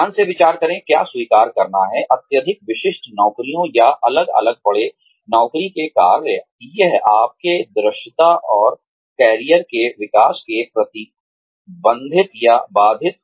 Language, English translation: Hindi, Consider carefully, whether to accept, highly specialized jobs or isolated job assignments